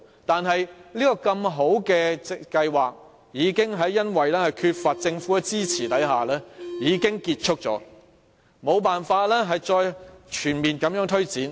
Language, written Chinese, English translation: Cantonese, 但是，這項如此好的計劃卻因為缺乏政府的支援而結束了，無法再全面推展。, However the programme has ended and it could not be fully implemented because it lacked the necessary government support